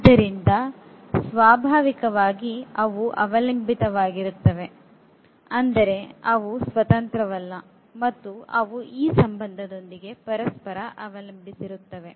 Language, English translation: Kannada, So, naturally they are dependent, they are not independent and they depend on each other with this relation